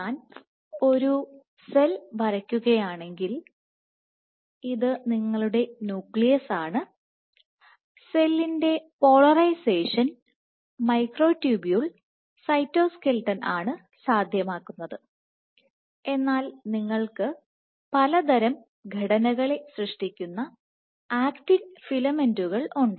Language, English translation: Malayalam, So, the advantage of having a branch, so if I draw cell, this is your nucleus the polarization of the cell is dictated by the microtubule cytoskeleton, but you have your actin filaments which are forming various kind of structures